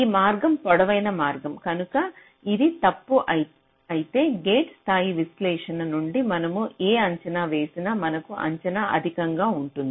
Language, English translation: Telugu, so if it is false, then whatever estimate you get from the gate level analysis will give you an over estimate